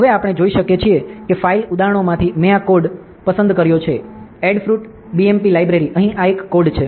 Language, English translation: Gujarati, Now, we can see that from the file examples, I have selected this code ok, Adafruit BMP library, here this is a code over here